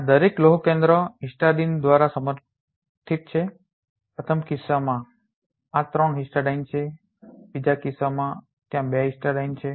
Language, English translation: Gujarati, Each of these iron centers are supported by histidine in the first case these are 3 histidine in the second case there are 2 histidine